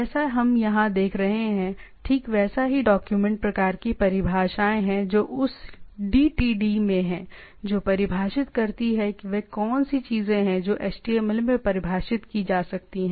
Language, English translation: Hindi, Right like what we see here like these are document type definitions which is in that DTD which defines that what are the things can be defined in HTML